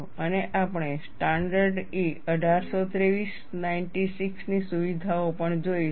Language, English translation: Gujarati, And we will also see features of standard E 1823 96